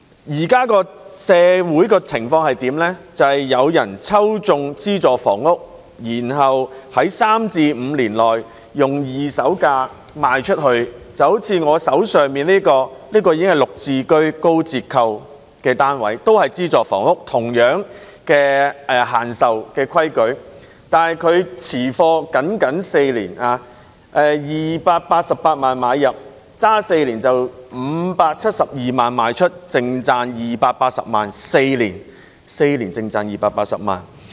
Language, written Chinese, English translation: Cantonese, 社會現在的情況是，有人抽中資助房屋，然後在第三至五年內以二手價賣出單位，就像我手上這個例子，這是"綠置居"的高折扣單位，也是資助房屋，有着同樣的轉讓限制，戶主以288萬元買入，持貨僅僅4年，其後以572萬元賣出，最後淨賺280萬元，只是4年，便淨賺280萬元。, The present situation is that people who have successfully acquired subsidized housing resell their flat at a second - hand price within the third to the fifth year from first assignment . Here is an example of an SSF acquired at a large discounted price under the Green Form Subsidised Home Ownership Scheme which is subject to the same alienation restrictions . The owner purchased the SSF at 2.88 million and held the flat for only four years and then resold it at 5.72 million making a net profit of 2.8 million